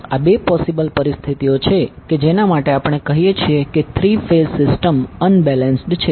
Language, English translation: Gujarati, So these are the two possible conditions under which we say that the three phase system is unbalanced